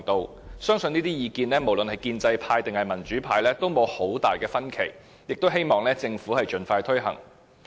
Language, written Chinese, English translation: Cantonese, 我相信不論是建制派或民主派，對於這些意見也應該沒有太大分歧，希望政府可以盡快推行。, I believe both the pro - establishment camp and the democratic camp have similar views hoping that the Government will take expeditious actions